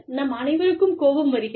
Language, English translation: Tamil, All of us, get angry